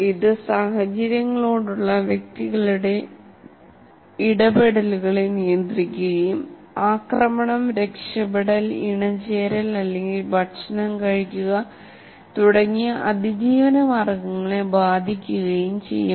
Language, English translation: Malayalam, And it regulates individuals interactions with the environment and can affect survival, such as whether to attack, escape, mate or eat